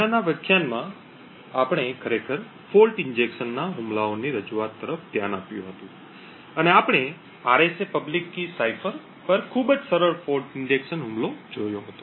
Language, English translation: Gujarati, In the previous lecture we had actually looked at an introduction to fault injection attacks and we had seen a very simple fault injection attack on the RSA public key cipher